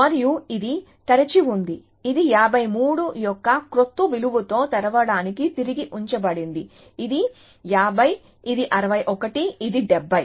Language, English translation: Telugu, And this is on open, this is put back on to open with a new value of 53, this is 50, this is 61, this is 70